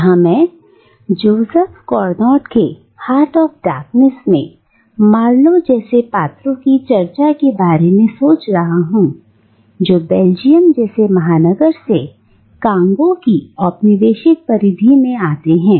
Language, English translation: Hindi, And here, I am thinking about our discussion of characters like Marlow in Joseph Conrad's Heart of Darkness, someone who comes to Congo, the colonial periphery from the metropolis Belgium